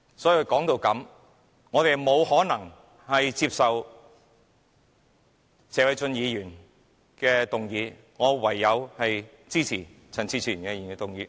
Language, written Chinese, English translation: Cantonese, 所以，說到這裏，我們不可能接受謝偉俊議員的議案，我唯有支持陳志全議員的議案。, Hence in conclusion it is impossible for us to accept Mr Paul TSEs motion . I can only support Mr CHAN Chi - chuens motion